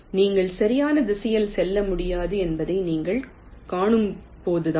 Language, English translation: Tamil, only when you see that you cannot move in the right direction, then only you move away